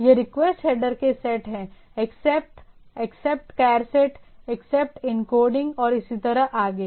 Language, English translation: Hindi, So, these are the set of the request header: Accept, Accept charset, Accept encoding and so and so forth